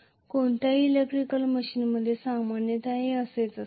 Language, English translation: Marathi, This is how it will be in generally in any electrical machine